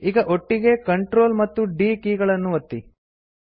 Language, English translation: Kannada, Now press the Ctrl and D keys together